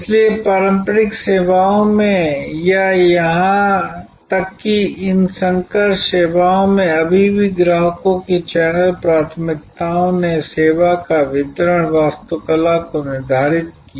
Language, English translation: Hindi, So, in the traditional services or even in these hybrid services still recently channel preferences of customers determined the distribution architecture of the service